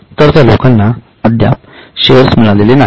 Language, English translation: Marathi, So, as of today they have not yet received shares